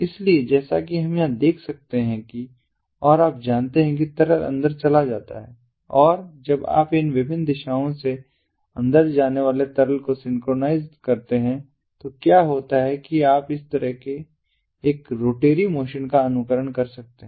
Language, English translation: Hindi, so, as we can see over here, you know, so liquid goes inside and when you synchronize the liquid going inside from these different directions, then what happens is you can emulate a rotatory motion like this